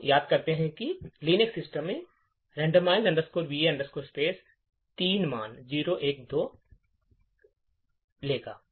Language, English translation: Hindi, So, we recollect that, in the Linux systems the randomize va space would take 3 values 0, 1 or 2